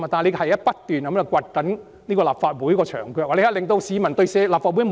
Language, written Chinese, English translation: Cantonese, 這是不斷掘立法會的"牆腳"，令市民不信任立法會，"老兄"。, Such a move has continuously eroded the foundation of the Legislative Council making people distrust the Council buddy